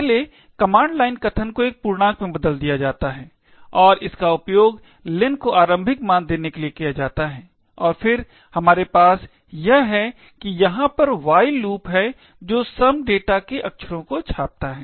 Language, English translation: Hindi, The first command line argument is converted to an integer and it is used to initialise len and then we have this while loop over here which prints characters of some data